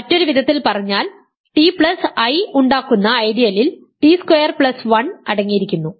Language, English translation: Malayalam, So, this corresponds to the ideal generated by t squared plus 1